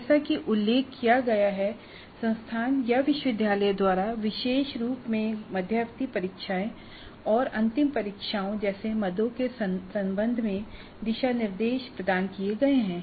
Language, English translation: Hindi, As I mentioned, there are certainly guidelines provided either by the institute or by the university with respect to particularly items like midterm tests and final examinations